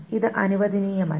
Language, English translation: Malayalam, This is not allowed